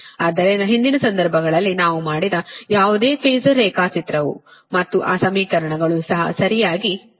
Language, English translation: Kannada, so whatever phasor diagram we have made in the previous cases, here also we will come, and those equations we will come